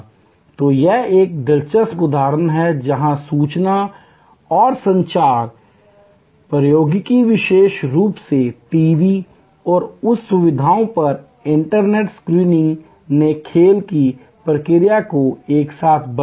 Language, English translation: Hindi, So, this is an interesting example, where information and communication technology particular TV and internet streaming at that facilities have change the nature of the game all together